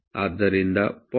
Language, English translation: Kannada, So, corresponding to 0